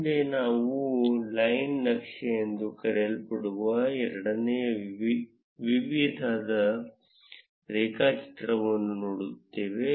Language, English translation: Kannada, Next we look at a second type of graph that is called a line chart